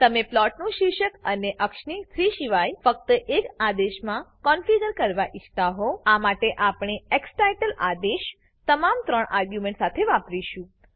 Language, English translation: Gujarati, You may want to configure the title and axis of the plot in a single command instead of 3 For this purpose we use the xtitle command with all the 3 arguments